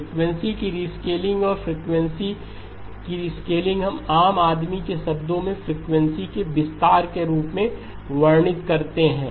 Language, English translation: Hindi, Rescaling of the frequency and the rescaling of the frequency we described in layman's terms as a stretching of the frequency